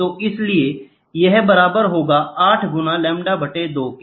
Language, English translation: Hindi, So, then this becomes equal to 4 into lambda by 2